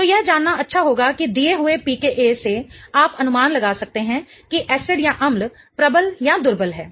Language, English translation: Hindi, So, it would be good to know that given a PKK you can predict if the acid is strong or weak